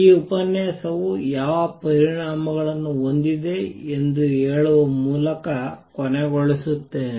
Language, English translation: Kannada, Let me just end this lecture by telling what implications does it have